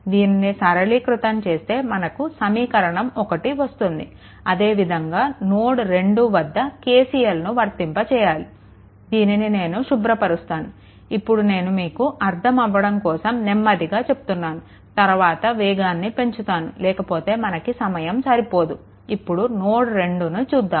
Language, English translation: Telugu, So, this is your equation 1 right similarly you apply KCL at node 2 let me clear it, right now I am little bit slow, but later we have to you know increase just increase the speed otherwise it will difficult to acquire the time now next one is your node 2